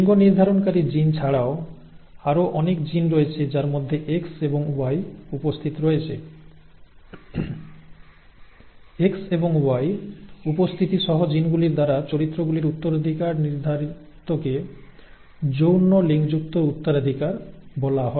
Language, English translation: Bengali, In addition to sex determining genes, there are many other genes that are present on X and Y, the inheritance of characters determined by the genes present in X and Y is what is called sex linked inheritance